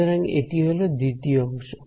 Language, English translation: Bengali, So, this is the second term